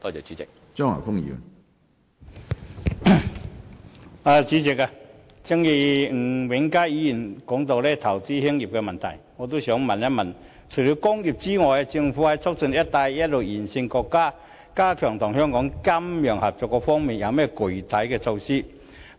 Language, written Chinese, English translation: Cantonese, 主席，吳永嘉議員提到投資興業的問題，我亦想詢問除了工業外，政府就促進"一帶一路"沿線國家及地區加強與香港的金融合作有何具體措施？, I also wish to ask this question apart from measures for the industrial sector what specific measures have the Government formulated for strengthening the financial cooperation between countries and regions along the Belt and Road and Hong Kong?